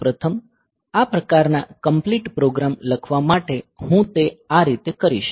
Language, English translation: Gujarati, So, first of all for writing this type of complete programs; so, will do it like this